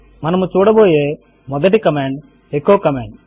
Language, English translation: Telugu, The first command that we will see is the echo command